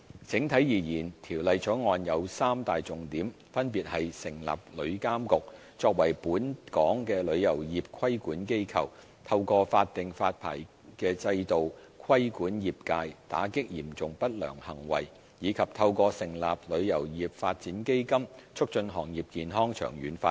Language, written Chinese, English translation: Cantonese, 整體而言，《條例草案》有三大重點，分別是：成立旅監局，作為本港旅遊業的規管機構；透過法定發牌制度規管業界，打擊嚴重不良行為，以及透過成立旅遊業發展基金，促進行業健康長遠發展。, Overall speaking the Bill has three key elements namely establishing TIA as the regulatory body for our travel industry; regulating the trade and combating serious unscrupulous acts through a statutory licensing regime; and fostering the healthy long - term development of the industry through the establishment of the Travel Industry Development Fund